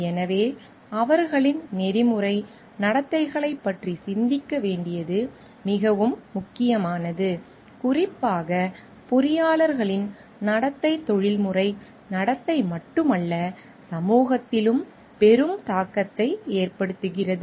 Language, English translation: Tamil, So, it becomes very important to think about their ethical conducts as their conduct, specifically the conduct of engineers are not just a matter of professional conduct, but it lay huge impact on society also